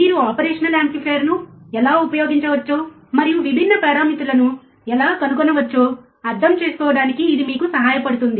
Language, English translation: Telugu, That will help you understand how you can use the operational amplifier and how you can find different parameters